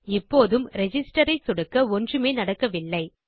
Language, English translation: Tamil, Here if I click Register nothing happens